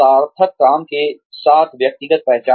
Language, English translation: Hindi, Personal identification with meaningful work